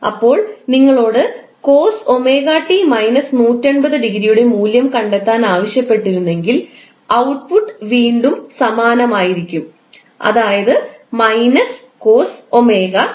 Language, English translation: Malayalam, Similarly, if you are asked to find out the value of omega t minus 180 degree, still the output will remain same, that is minus sine omega t